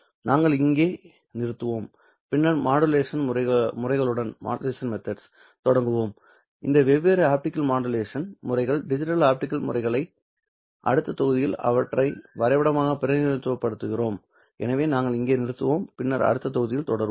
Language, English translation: Tamil, We will stop here and then we will start with the modulation methods and how do we perform these different optical modulation methods, digital optical modulation methods, and how do we represent them graphically the next module